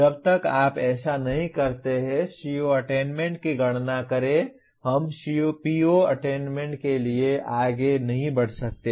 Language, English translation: Hindi, Unless you do the, compute the CO attainment we cannot move to PO attainment